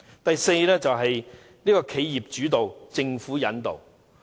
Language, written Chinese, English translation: Cantonese, 第四方面，由企業主導、政府引導。, Fourth the development is led by enterprises and guided by the Government